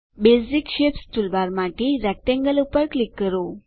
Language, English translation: Gujarati, From the Basic Shapes toolbar click on Rectangle